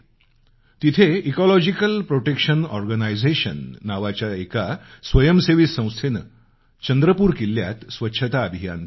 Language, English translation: Marathi, An NGO called Ecological Protection Organization launched a cleanliness campaign in Chandrapur Fort